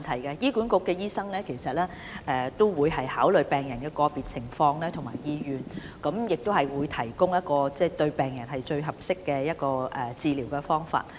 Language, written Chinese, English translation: Cantonese, 醫管局的醫生會考慮病人的個別情況及意願，以提供一種對病人最合適的治療方法。, HA doctors will consider the condition and wish of a patient in deciding the type of treatment that is most suitable for the patient